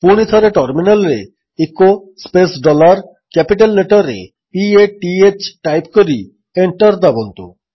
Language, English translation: Odia, Again, type at the terminal: echo space dollar P A T H in capitals and press Enter